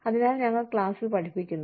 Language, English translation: Malayalam, So, we teach in class